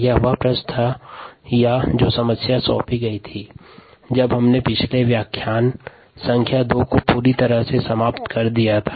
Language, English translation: Hindi, this was the question that was, or the problem that was, assigned ah, when we pretty much finished up the previous lecture, lecture number two